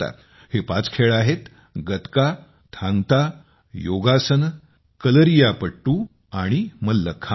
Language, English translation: Marathi, These five sports are Gatka, Thang Ta, Yogasan, Kalaripayattu and Mallakhamb